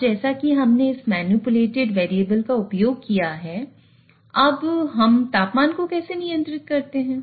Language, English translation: Hindi, Now, as we have used this manipulated variable, now how do we control the temperature